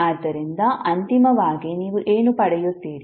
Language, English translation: Kannada, So finally what you will get